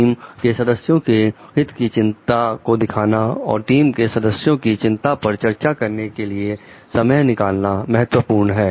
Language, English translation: Hindi, Showing concern for the team members well being so taking time to discuss the team members concerns